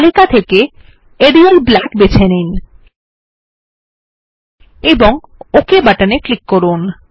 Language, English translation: Bengali, Let us choose Arial Black in the list box and click on the Ok button